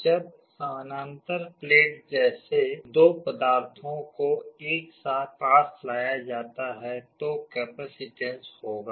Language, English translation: Hindi, When two materials like parallel plates are brought close together, there will be a capacitance